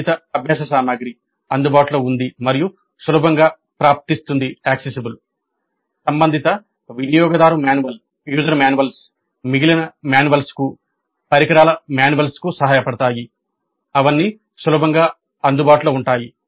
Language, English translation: Telugu, Relevant learning material was available and easily accessible the related user manuals, help manuals, the equipment manuals, they are all easily available and accessible